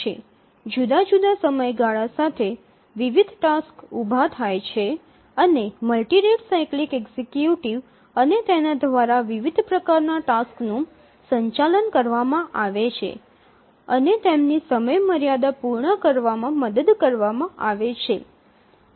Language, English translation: Gujarati, different tasks arise with different periods and we will discuss about the multi rate cyclic executive and how does it handle these different types of tasks and help to meet their deadline